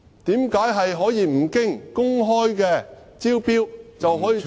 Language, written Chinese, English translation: Cantonese, 為何可以不經公開招標，便可以將......, How come a public tender could have been dispensed with and then